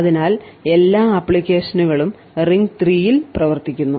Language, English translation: Malayalam, So, all the applications are running in ring 3